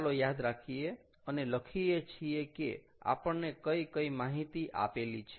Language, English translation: Gujarati, let us write down what all is given to us